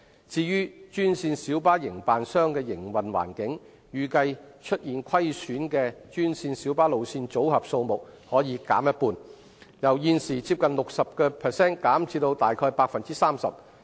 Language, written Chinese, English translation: Cantonese, 至於專線小巴營辦商的營運環境，預計出現虧損的專線小巴路線組合數目可減半，由現時接近 60% 減至大約 30%。, As regards the operating environment of green minibus operators the loss - making green minibus route packages are expected to drop by half from close to 60 % at present to about 30 %